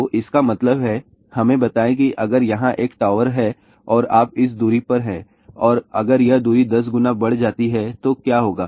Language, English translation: Hindi, So that means, let us say if there is a tower here and you are at this distance and if this distance is increased by 10 times , then what will happen